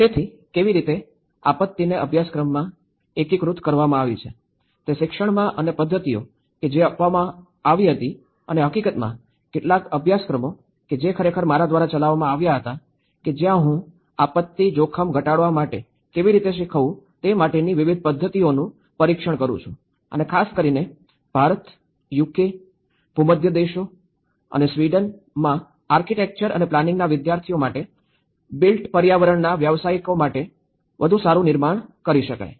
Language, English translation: Gujarati, So, how disaster has been integrated in the curriculum, in the education and the methods which were adopted and in fact, some of the courses which were actually executed by me and where I keep testing different methods of how to teach the disaster risk reduction and build back better for the built environment professionals especially, for architecture and planning students in India, UK, Mediterranean countries and in Sweden